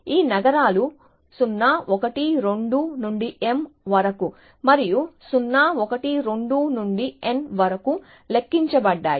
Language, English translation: Telugu, Let us say, this cities are numbered 0, 1, 2 up to m and 0, 1, 2 up to n